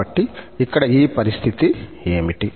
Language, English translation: Telugu, So, what is this condition here